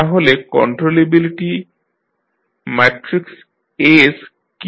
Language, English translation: Bengali, So, what is the controllability matrix S